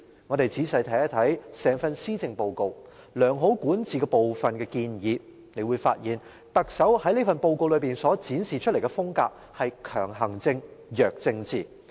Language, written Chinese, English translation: Cantonese, 我們仔細看一看整份施政報告，在良好管治部分的建議，大家會發現特首在這份報告內所展示的風格是強行政、弱政治。, Let us look at the whole Policy Address in detail . From the recommendations in the chapter of Good Governance we can see that the style shown by the Chief Executive in this Policy Address is strong administration and weak political measures